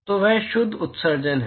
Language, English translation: Hindi, So, that is the net emission